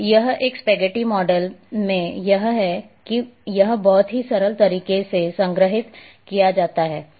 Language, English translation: Hindi, So, this is how in a spaghetti data model this is how it is stored, in a very simple way